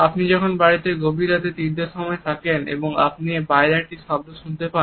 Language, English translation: Bengali, If you are at home late at night 3 O clock in the morning and you hear a noise outside